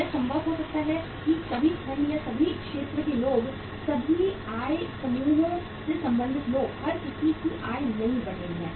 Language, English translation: Hindi, It may be possible that all segment or all category of the people, all income, people belonging to all income groups; everybody’s income is not growing